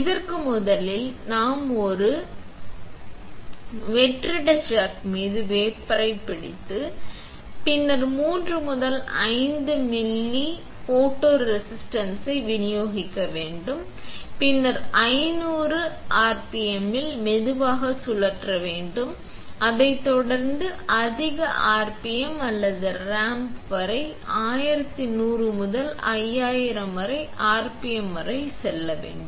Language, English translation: Tamil, And for this first is that we had to hold wafer onto a vacuum chuck and then dispense 3 to 5 ml of photoresist, then slow spin at 500 rpm followed by higher rpm or ramp up to, from 1100 to 5000 rpm